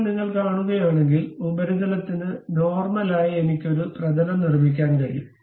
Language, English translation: Malayalam, Now, if you are seeing, normal to that surface I can construct a plane